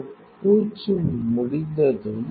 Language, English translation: Tamil, So, once a coating is completed